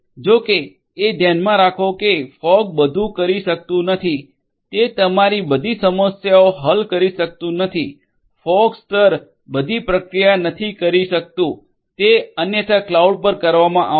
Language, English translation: Gujarati, However, keep in mind that fog cannot do everything; it cannot solve all your problems it is not that fog layer can do all the processing, that would be otherwise done at the cloud